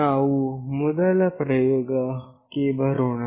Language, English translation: Kannada, We come to the first experiment